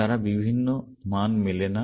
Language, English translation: Bengali, They cannot match different values